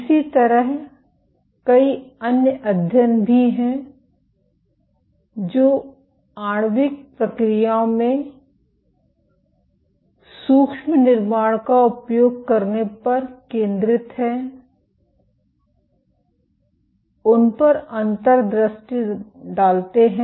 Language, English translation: Hindi, Similarly, there are multiple other studies which are focused on using micro fabrication to glean insight into molecular processes